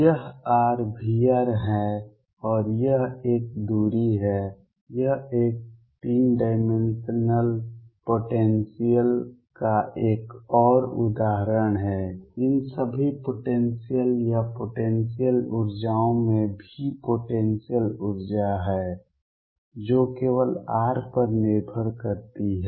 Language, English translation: Hindi, This is r, V r and this is a distance a this is another example of a 3 dimensional potentials all these potentials or potential energies have V the potential energy that depends only on r